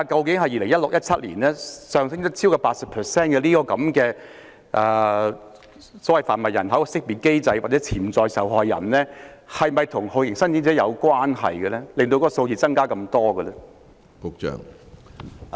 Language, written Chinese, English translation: Cantonese, 在2017年，在販運人口受害人識別機制下，接受識別的潛在受害人較2016年上升超過 80%， 這是否與酷刑聲請者大增有關？, The number of potential victims screened in 2017 under the TIP victim screening mechanism increased by over 80 % in comparison with 2016 . Is this related to the big increase in torture claimants?